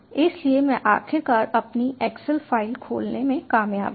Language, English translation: Hindi, so i have finally managed to open my excel file